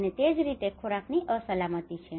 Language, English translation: Gujarati, And similarly the food insecurity